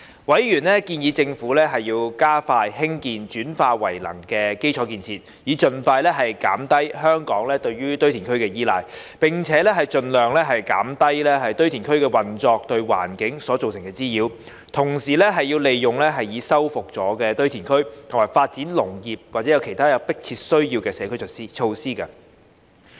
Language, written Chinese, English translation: Cantonese, 委員建議政府加快興建轉廢為能基礎設施，以盡快減低香港對堆填的依賴，並盡量減低堆填區運作對環境造成的滋擾；同時利用已修復堆填區發展農業和其他有迫切需要的社區設施。, Members suggested that the Government should expedite the development of waste - to - energy facilities to reduce Hong Kongs reliance on landfilling as soon as possible minimize the environmental nuisances arising from the operation of landfills and at the same time make use of restored landfills to develop agriculture and other urgently needed community facilities